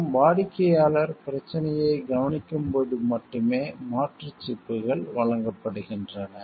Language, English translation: Tamil, And replacement chips are offered only the customer notices the problem